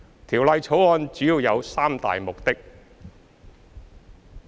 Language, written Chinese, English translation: Cantonese, 《條例草案》主要有三大目的。, Mainly speaking the Bill has three major purposes